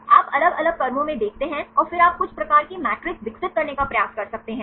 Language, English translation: Hindi, You look into different sequences and then you can try to develop some sort of matrices